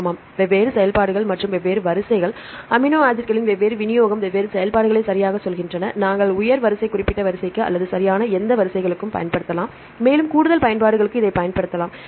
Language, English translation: Tamil, Yeah different functions and the different sequences different distribution of amino acids say different functions right we can use for higher order specific sequence or any correctly sequences right and you can use it for the further applications right